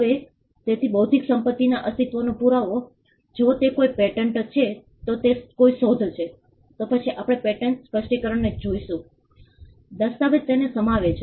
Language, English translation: Gujarati, Now so, the proof of the existence of intellectual property if it is a patent if it is an invention, then we would look at the patent specification, the document that encompasses it